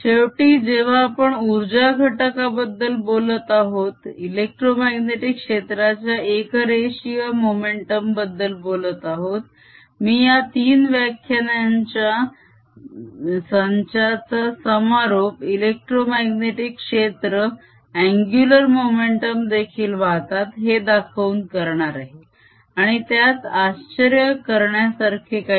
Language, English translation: Marathi, finally, when we are talking about the energy content, linear momentum content, of the electromagnetic field, i will conclude this set of three lectures by showing that e m fields carry angular momentum also